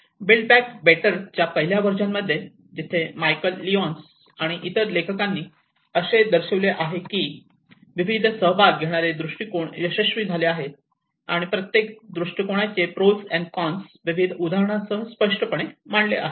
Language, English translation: Marathi, In the first version of build back better where Michael Lyons and other authors have demonstrated the various participatory approaches have been successful and obviously they also bought the pros and cons of each approaches and bringing various case examples